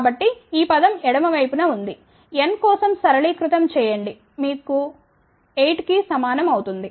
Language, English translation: Telugu, So, this is what the term is that is on the left hand side, simplify for n you will get n equal to 8